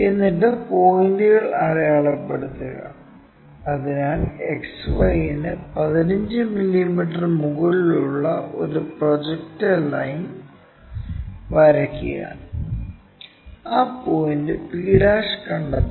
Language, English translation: Malayalam, Then mark points, so draw a projector line which is 15 mm above XY, locate that point p' lower case letter